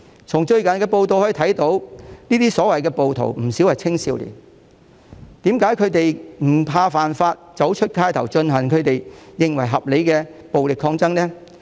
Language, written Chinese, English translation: Cantonese, 從最近的報道可見，這些所謂的暴徒不少是青少年，為何他們會不怕犯法，走上街頭進行他們認為合理的暴力抗爭呢？, As we can see in some recent news reports quite a number of these so - called rioters are teenagers . Why would they take to the streets to engage in the violent struggles which they deem reasonable without being afraid of breaking the law?